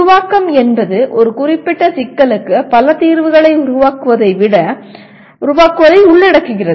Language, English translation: Tamil, Creation involves producing multiple solutions for a given problem